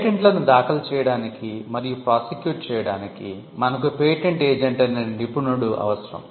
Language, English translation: Telugu, For filing and prosecuting patents, you need a specialist called the patent agent